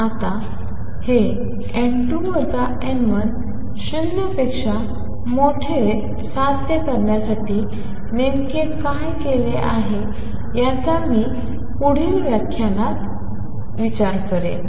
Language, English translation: Marathi, Now what exactly is done to achieve this n 2 minus n 1 greater than 0, I will discuss in the next lecture